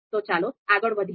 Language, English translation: Gujarati, So let us move forward